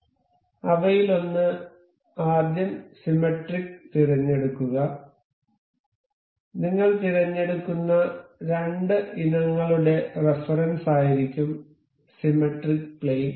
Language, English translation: Malayalam, So, first one of them is to select the symmetric; the symmetry plane of reference that that would be the reference for the two items that we will be selecting